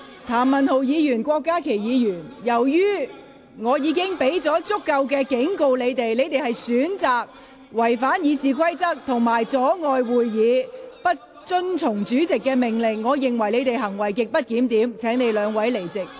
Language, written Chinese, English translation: Cantonese, 譚文豪議員、郭家麒議員，由於我已向你們作出足夠警告，而你們選擇違反《議事規則》及阻礙會議進行，不遵從主席的命令，我認為你們行為極不檢點，請離開會議廳。, Mr Jeremy TAM Dr KWOK Ka - ki despite my sufficient warning to you you have chosen to violate RoP by impeding the progress of the meeting and disobeying the order of the President . I would consider your conduct grossly disorderly . Please leave the Chamber